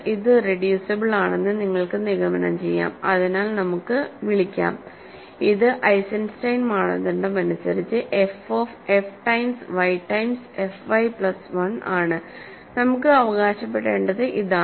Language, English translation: Malayalam, You can conclude that this is irreducible using, so let us call I mean this is f of f times y times f y plus 1 by Eisenstein criterion; what we need to claim is